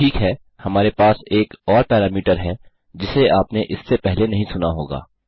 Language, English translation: Hindi, Okay, we have another parameter which you may not have heard of before